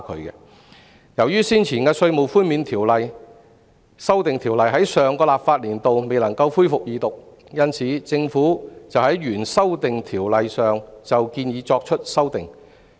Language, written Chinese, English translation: Cantonese, 由於先前的《條例草案》在上個立法年度未能恢復二讀，政府因而就新建議對原先的《條例草案》作出修訂。, Since the Second Reading debate of the Bill cannot be resumed in the last legislative session the Government subsequently sought to make amendments to the Bill with respect to the new proposal